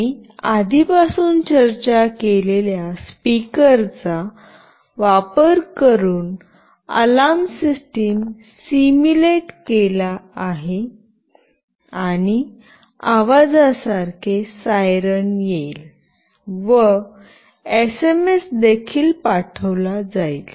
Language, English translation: Marathi, We have simulated the alarm system using the speaker that we have already discussed earlier; a siren like sound will come and we also sent an SMS